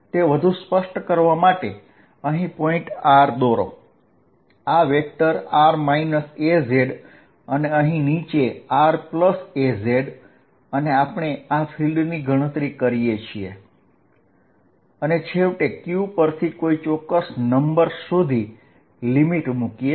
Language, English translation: Gujarati, To make it more explicit, let me draw this point r, this is vector r minus ‘az’ and the one from the bottom here is r plus ‘az’ and we want to calculate this field and finally, take the limit q times a going to a finite number